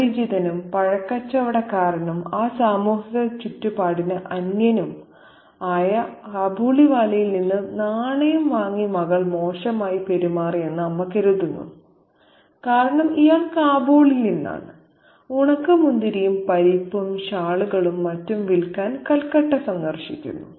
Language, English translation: Malayalam, So, the mother thinks that her daughter has behaved badly by accepting the coin from the Kabiliwala, a stranger, a fruit peddler, an alien to that social environment because this guy is from Kabul and he is visiting Kolkata to sell raisins and nuts and shawls and other things